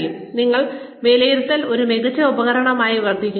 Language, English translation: Malayalam, So, appraisal serve as an excellent tool